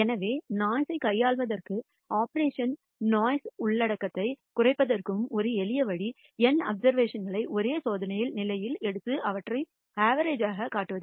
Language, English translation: Tamil, So, one simple way of dealing with noise and reducing the noise content in observations is to take n observations at the same experimental condition and average them